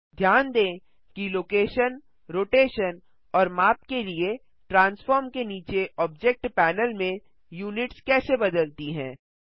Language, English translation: Hindi, Notice how the units for location, rotation and scale under Transform in the Object Panel have changed